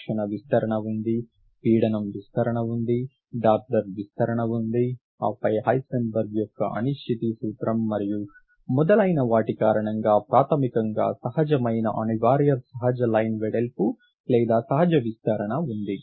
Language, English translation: Telugu, There is collisional broadening, there is pressure broadening, there is Doppler broadening and then there is of course the fundamental inherent unavoidable natural line width or natural broadening due to the Heisenbts Uncertainty Principle and so on